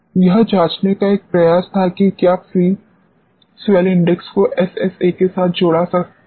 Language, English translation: Hindi, This was an attempt to check whether free soil index can be correlated with SSA